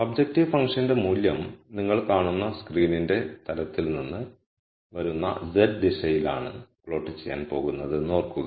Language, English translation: Malayalam, Remember that the value of the objective function is going to be plotted in the z direction coming out of the plane of the screen that you are seeing